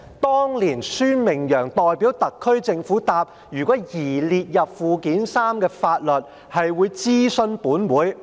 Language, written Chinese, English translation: Cantonese, 當年，孫明揚代表特區政府回答，如有擬列入附件三的法律，會諮詢本會。, Back then Michael SUEN gave the reply on behalf of the SAR Government that if any law was proposed to be listed in Annex III the Government would consult this Council